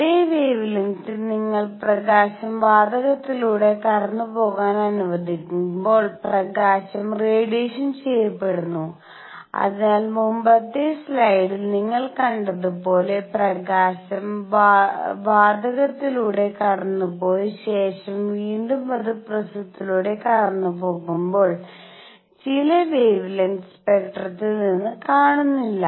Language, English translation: Malayalam, Under the same wavelengths, when you let up light pass through gas at the same wavelengths, the light is absorbed and therefore, that was missing from the spectrum as you saw in the previous slide that when the light was passed through gas and then again pass through prism certain wavelengths